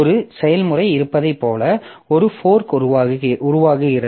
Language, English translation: Tamil, So, a fork creates like one process is there